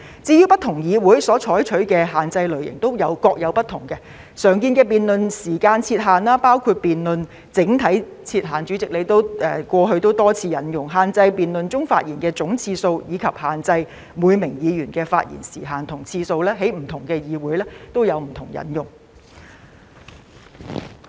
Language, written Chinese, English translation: Cantonese, 至於不同議會所採取的限制類型都各有不同，常見的辯論時間設限形式，包括為辯論設定整體設限——主席，你過去亦曾多次引用——限制在辯論中發言的總次數，以及限制每名議員的發言時限和次數；這些在不同議會中也是有引用的。, Different parliamentary institutions adopt different types of restrictions but the common forms of specifying time limits on debates include limiting the overall debate time―President this has also been adopted many times by you―limiting the total number of speeches delivered in a debate and limiting the speaking time and the number of speeches per Member . These restrictions have also been adopted in different parliamentary institutions